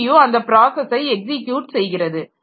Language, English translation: Tamil, So, CPU will be executing the process